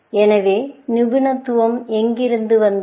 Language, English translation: Tamil, So, where did the expertise come in